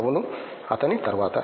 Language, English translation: Telugu, Yeah, after him